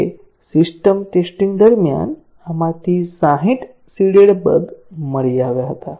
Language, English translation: Gujarati, Now, during system testing, 60 of these seeded bugs were detected